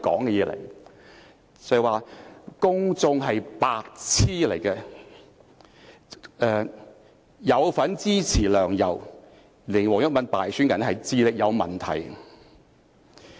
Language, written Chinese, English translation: Cantonese, 那段錄音說"公眾是白癡"、"有份支持梁、游，令黃毓民敗選的人是智力有問題"。, In the audio clip he said that the public are idiots and people supporting LEUNG and YAU and causing WONG Yuk - man to be defeated in the election must have problems with their intelligence